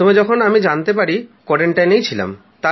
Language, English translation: Bengali, When the family first came to know, I was in quarantine